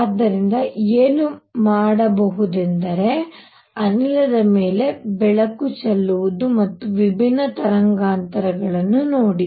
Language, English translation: Kannada, So, what one would do is shine light on gas and see different wavelengths